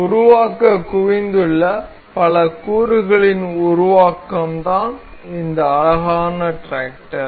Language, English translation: Tamil, This build of multiple components that have been accumulated to form this beautiful tractor